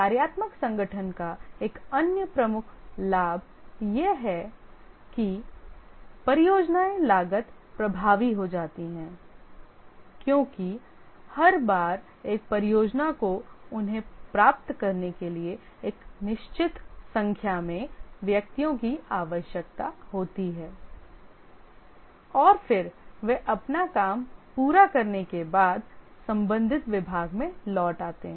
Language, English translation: Hindi, Another major advantage of the functional organization is that the projects become cost effective because each time a project needs certain number of persons gets them and then they return to the respective department after they complete their work